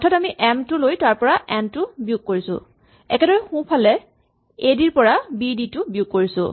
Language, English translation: Assamese, So, we take m and subtract n from m, so correspondingly we subtract b d from a d